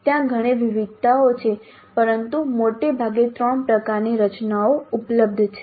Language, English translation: Gujarati, There are many variations but broadly there are three kind of structures which are available